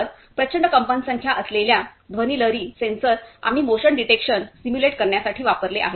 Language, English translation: Marathi, So, ultrasonic sensor, we have used to simulate motion detection